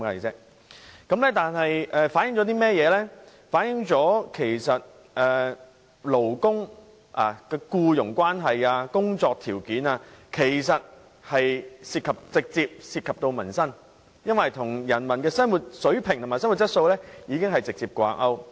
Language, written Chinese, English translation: Cantonese, 這反映僱傭關係及工作條件直接涉及民生，與人民的生活水平和質素直接掛鈎。, This shows that employment relationship and working conditions are closely related to peoples livelihood and directly linked to peoples standard and quality of living